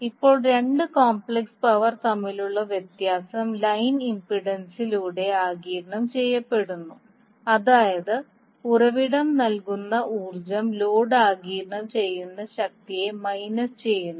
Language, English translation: Malayalam, Now the difference between the two complex powers is absorbed by the line impedance that means the power supplied by the source minus the power absorbed by the load